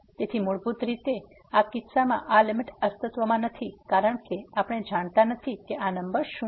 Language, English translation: Gujarati, So, basically in this case this limit does not exist because we do not know what number is this